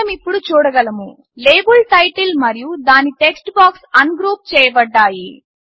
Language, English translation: Telugu, Now we see that the label title and its text box have been ungrouped